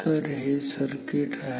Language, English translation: Marathi, So, this is the circuit ok